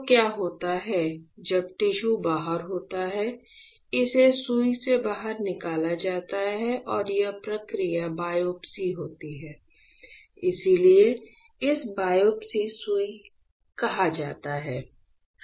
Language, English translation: Hindi, So, what happens is when the tissue is out right, it is tissue is out, this is taken out with a needle and this process is biopsy; so it is called biopsy needle